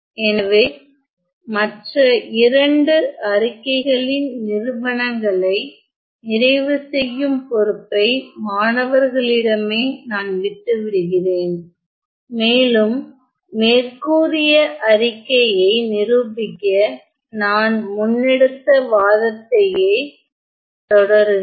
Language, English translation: Tamil, So, I leave it to the students to complete the proof of the other 2 statements and follow the same argument as I have used above in the case of the statement 1